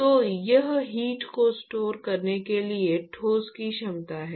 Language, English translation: Hindi, So, it is the capacitance or the capacity of the solid to store heat